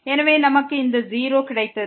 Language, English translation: Tamil, So, we got this 0